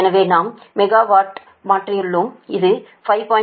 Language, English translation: Tamil, so we have converted to megawatt